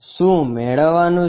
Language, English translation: Gujarati, What is to be found